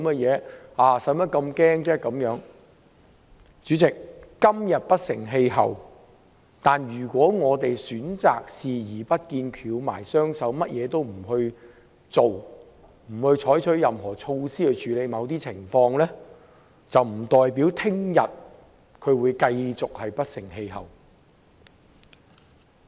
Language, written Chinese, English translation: Cantonese, 主席，"港獨"今天雖不成氣候，但如果我們選擇視而不見，翹起雙手，甚麼也不做，不採取任何措施去處理某些情況，難保"港獨"會繼續不成氣候。, President though Hong Kong independence is not getting anywhere today but if we choose to turn a blind eye and sit with our arms crossed without doing anything or taking any action to deal with the situation there is no guarantee that Hong Kong independence will not be successful